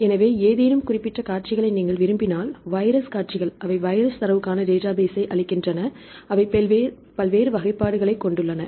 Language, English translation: Tamil, So, if you are interested any given specific sequences for example, viral sequences right they give the database for the data for the viral sequences, they have various classifications right